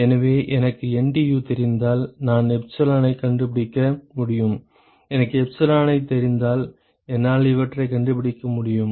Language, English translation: Tamil, So, if I know NTU I can find epsilon, if I know epsilon I can find these